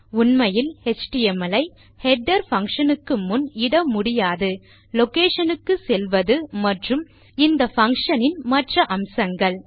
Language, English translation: Tamil, And you cant actually put html before a header function, going to location and other features of this function